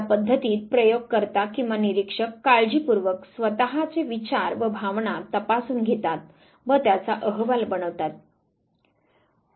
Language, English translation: Marathi, In this method the experimenter or the observer carefully examines and reports his or her own thoughts and feelings